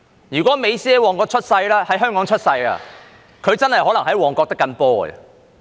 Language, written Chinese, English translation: Cantonese, 如果美斯在香港出生，他真的可能在旺角"的緊波"。, If Lionel MESSI had been born in Hong Kong he might really be playing football in Mong Kok